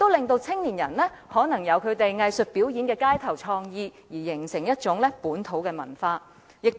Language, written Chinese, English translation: Cantonese, 此外，青年人亦可以進行具創意的街頭藝術表演，繼而形成一種本土文化。, In addition young people can do creative street arts performances which can in turn develop into a kind of local culture